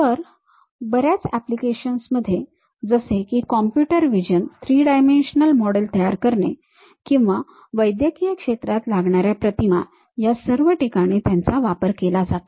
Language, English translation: Marathi, In many applications if we are looking at like computer visions like about constructing these 3 dimensional models and so on, or medical imaging